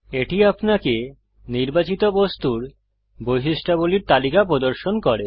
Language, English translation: Bengali, It shows you a list of the properties of the selected object